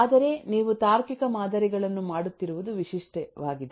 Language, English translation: Kannada, but it is typical that you will do logical models